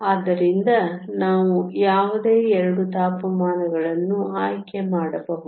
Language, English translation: Kannada, So, we can choose any 2 temperatures